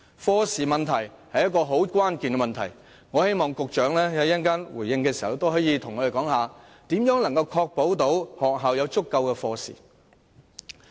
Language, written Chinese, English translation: Cantonese, 課時問題非常關鍵，我希望局長稍後回應時告訴我們，如何確保學校有足夠的中史科課時。, Lesson time is a critical issue and I hope that the Secretary will tell us later in his response how he can ensure that schools will have sufficient lesson time for Chinese History